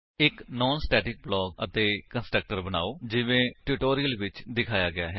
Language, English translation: Punjabi, Create a non static block and a constructor as shown in the tutorial